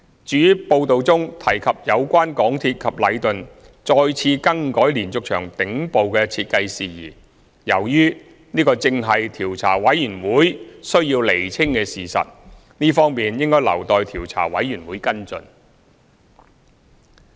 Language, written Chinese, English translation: Cantonese, 至於報道中提及有關港鐵公司及禮頓再次更改連續牆頂部的設計事宜，由於這正是調查委員會須釐清的事實，這方面應留待調查委員會跟進。, As for the issue of yet another alteration in the design of the top part of the diaphragm walls by MTRCL and Leighton as mentioned in the report since it is precisely part of the facts which the Commission will ascertain it should be left to the Commission to follow up